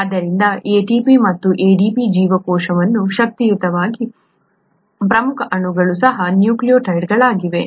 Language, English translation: Kannada, So ATP and ADP the energetically important molecules in the cell, are also nucleotides